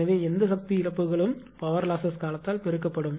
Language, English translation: Tamil, So, whatever power losses will be there multiplied by time